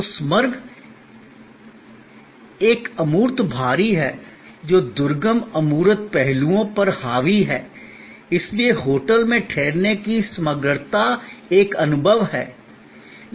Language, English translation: Hindi, So, the totality is an intangible heavy, dominated by deferent intangible aspects, the totality of the hotel stay is therefore an experience